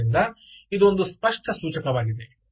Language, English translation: Kannada, clearly its an indication